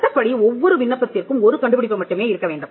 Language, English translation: Tamil, The law requires that every application should have only one invention